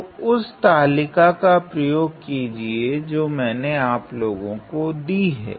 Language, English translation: Hindi, So, use the table that I have provided